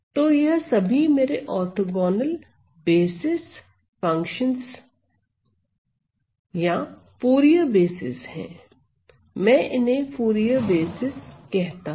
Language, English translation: Hindi, So, these are my orthogonal basis functions or the Fourier basis, I call this as my Fourier basis